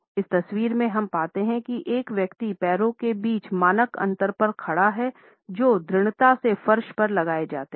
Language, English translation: Hindi, In this photograph we find that a person is standing over the standard gap between the legs which are firmly planted on the floor